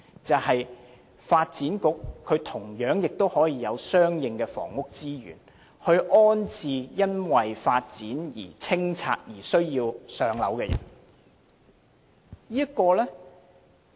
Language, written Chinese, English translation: Cantonese, 便是發展局同樣可以有相應的房屋資源，以安置因發展而被清拆房屋的居民。, This situation can be reached if the Development Bureau has the corresponding housing resources to rehouse the residents whose homes were demolished due to development